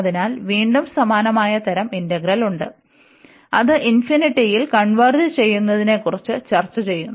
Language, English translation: Malayalam, So, again we have a similar type integral, which we are discussing for the convergence where the infinity appears above